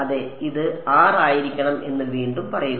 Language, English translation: Malayalam, Say again yeah this should be R